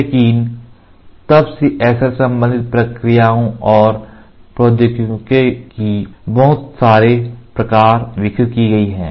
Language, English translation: Hindi, So, since then a wide variety of SL related processes and technologies have been developed